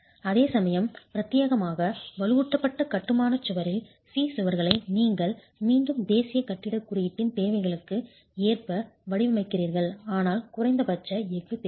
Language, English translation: Tamil, Whereas in the specially reinforced masonry walls, type C walls, you again you are designing them as per the requirements of the National Building Code, but there are minimum percentages of steel that are required